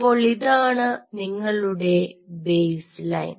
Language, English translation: Malayalam, so this is your baseline, ok